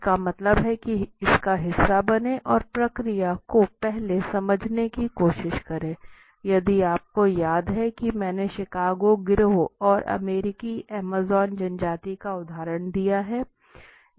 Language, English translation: Hindi, That means be a part of it and tries to explain the process earlier if you remember I have given the example of Chicago gang and American amazon tribe right